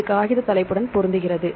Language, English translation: Tamil, It matches to the paper title